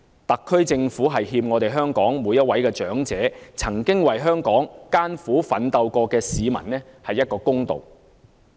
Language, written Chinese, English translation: Cantonese, 特區政府欠香港每位長者、曾經為香港艱苦奮鬥過的市民一個公道。, The SAR Government owes justice to our elderly people as well as those who have struggled hard for the development of Hong Kong